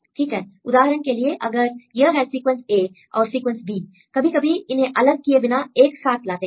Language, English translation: Hindi, Right for example, if this is the sequence a and sequence b some cases we considered all the sequence together